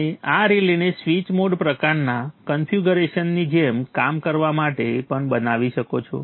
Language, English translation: Gujarati, You could also make this relay to work like a switch in a switch to mode type of configuration